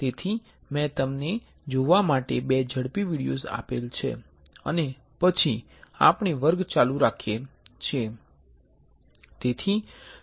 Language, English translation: Gujarati, So, I have got you two quick videos to look at and then we continue the class